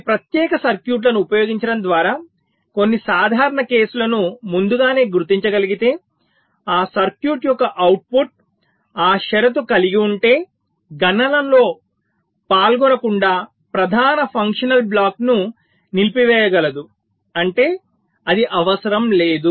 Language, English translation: Telugu, if some of the common cases can be detected early by using some special circuits, then the output of that circuit can disable the main functional block from participating in the calculation if that condition holds, which means it is not required